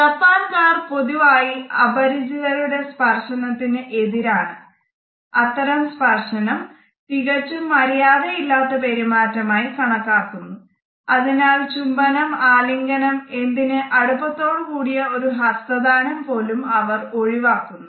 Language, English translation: Malayalam, The Japanese in general are considered to be opposed to the touch of a stranger and bodily contact with a stranger is considered to be impolite in the Japanese culture and therefore they avoid kisses, the beer hugs as well as even intimate handshakes with others